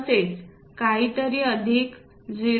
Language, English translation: Marathi, Something like plus 0